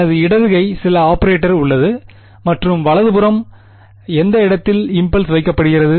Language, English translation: Tamil, I have a left hand side which is some operator and right hand side is an impulse placed at which point